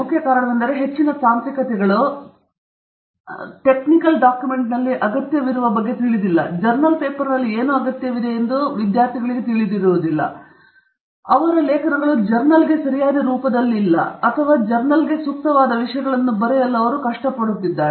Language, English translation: Kannada, The main reason is that most students are not aware of what is required in a technical document, what is required in a journal paper, and therefore, they write things that are perhaps not appropriate for a journal or not in the appropriate format for the journal